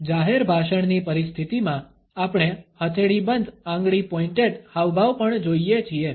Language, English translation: Gujarati, In public speech situation, we also come across the palm closed finger pointed gesture